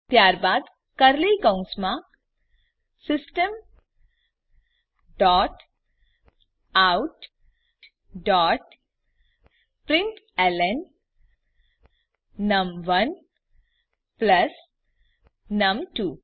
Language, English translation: Gujarati, Then within curly brackets System dot out dot println num1 plus num2